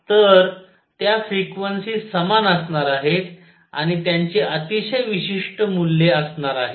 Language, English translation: Marathi, So, those frequencies are going to be equal and they are going to have very specific values